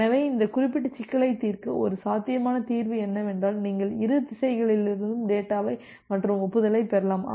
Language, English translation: Tamil, So, one possible solution to solve this particular problem is that you can piggyback data and acknowledgement from both the direction